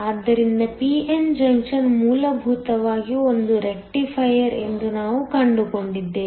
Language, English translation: Kannada, So, we have found that a p n junction is essentially a rectifier